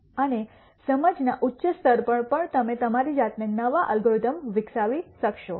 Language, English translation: Gujarati, And at even higher level of understanding you might be able to develop new algorithms yourselves